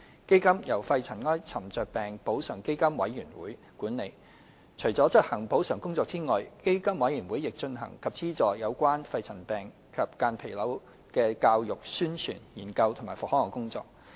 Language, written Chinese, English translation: Cantonese, 基金由肺塵埃沉着病補償基金委員會管理，除了執行補償工作外，基金委員會亦進行及資助有關肺塵病及間皮瘤的教育、宣傳、研究及復康工作。, The Fund is administered by the Pneumoconiosis Compensation Fund Board PCFB . Apart from compensation work PCFB also conducts and finances educational publicity research and rehabilitation programmes in relation to pneumoconiosis and mesothelioma